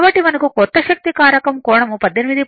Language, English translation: Telugu, So, we have got four new power factor angle is 18